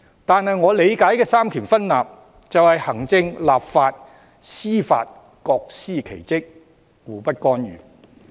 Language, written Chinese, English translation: Cantonese, 然而，我理解的三權分立就是行政、立法、司法各司其職，互不干預。, However separation of powers in my understanding means the executive legislative and judicial branches each performing their respective duties without interfering with each other